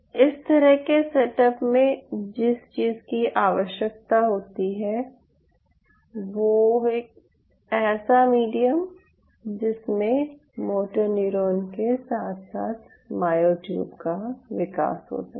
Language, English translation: Hindi, so what you need it in such a setup is you needed a common medium which will allow growth of both this moto neuron as well as the myotube